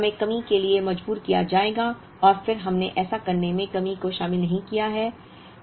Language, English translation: Hindi, So, we will be forced to have shortage and then we have not included shortage in doing this